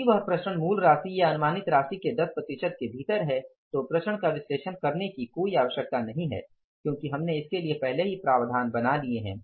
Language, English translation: Hindi, If that variance is within 10 percent of the say basic amount or the estimated amount then there is no need for analyzing the variances because we have already made the provisions for that